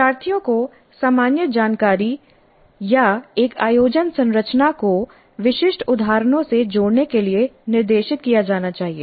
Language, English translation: Hindi, Learners should be guided to relate the general information or an organizing structure to specific instances